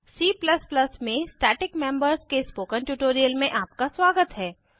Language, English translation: Hindi, Welcome to the spoken tutorial on static members in C++